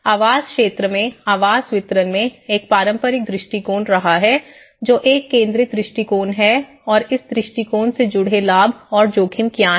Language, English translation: Hindi, In the housing sector, in the housing delivery, there has been a traditional approach, which is a concentrated approach and what are the benefits and risks associated with this approach